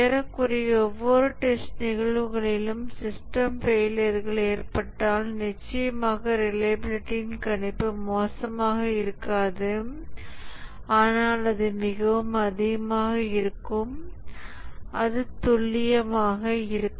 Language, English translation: Tamil, If there are system failures occurring in almost every test cases, then of course the prediction of reliability will not only be poor but it will be very gross, don't be accurate